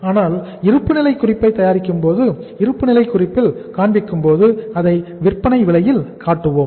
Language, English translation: Tamil, But while preparing the balance sheet while showing it in the balance sheet we will be showing it at the selling price